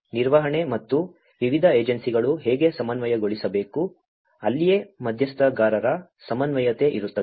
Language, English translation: Kannada, The management and also how different agencies has to coordinate, that is where the stakeholder coordination